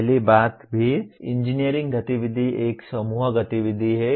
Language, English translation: Hindi, First thing is any engineering activity is a group activity